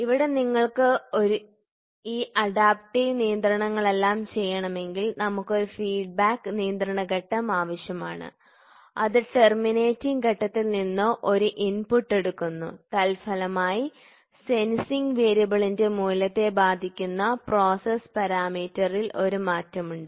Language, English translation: Malayalam, So, here if you want to do all these adaptive controls, we need to have a feedback control stage and that is takes an input from the terminating stage consequently, there is a change in process parameter that affects the magnitude of the sensing variable